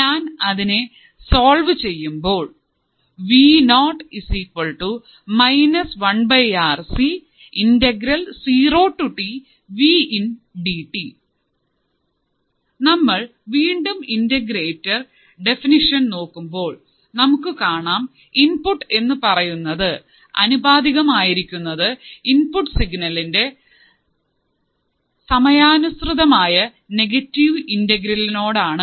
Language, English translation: Malayalam, So, once again if I see the definition of an integrator, if I see the definition of an integrator, it is a circuit whose output is proportional to to the negative integral negative integral of the input signal with respect to time